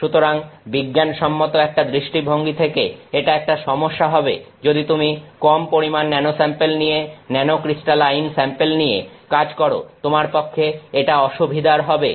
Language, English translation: Bengali, So, from a scientific perspective, this is an issue that if you work with small amounts of nano samples, nanocrystalline samples it is inconvenient to you